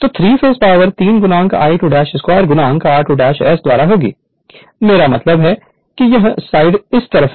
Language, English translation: Hindi, So, 3 phase power will be 3 into your I 2 dash square into r 2 dash by S, I mean this side this side right